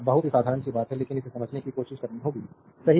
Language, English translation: Hindi, Very simple thing, but we have to try to understand this, right